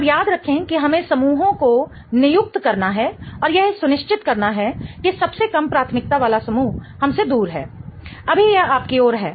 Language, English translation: Hindi, Now, remember that we have to assign the groups and make sure that the least priority group points away from us